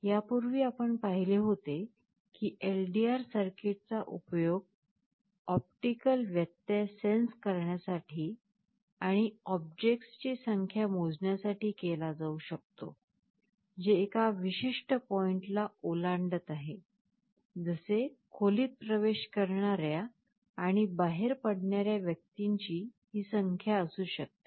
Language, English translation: Marathi, Earlier you had seen how an LDR circuit can be used to sense optical interruptions and count the number of objects, which are crossing a certain point, may be number of persons entering and leaving a room